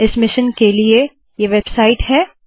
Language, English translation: Hindi, This is the website of this mission